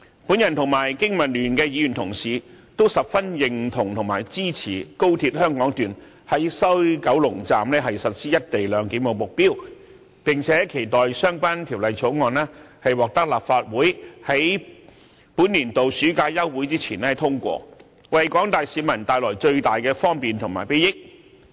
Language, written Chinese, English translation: Cantonese, 我和經民聯的議員同事都十分認同和支持高鐵香港段在西九龍站實施"一地兩檢"的目標，並且期待相關條例草案在本年度暑假休會前獲立法會通過，為廣大市民帶來最大的方便和裨益。, Colleagues from BPA and I very much agree and support the objective of implementing the co - location arrangement in the West Kowloon Station at the Hong Kong section of XRL and look forward to the passage of the Bill by this Council before the Council rises in summer this year so as to bring the greatest convenience and benefits to the general public